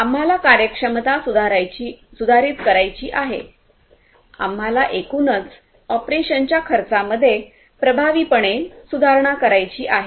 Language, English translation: Marathi, We want to improve the efficiency; we want to improve the overall cost effectiveness operations and so on and so forth